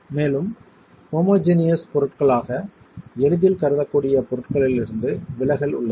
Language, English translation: Tamil, And that is where there is a departure from materials that can easily be considered as homogeneous materials